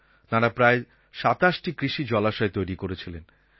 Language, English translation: Bengali, They have already created 27 farm ponds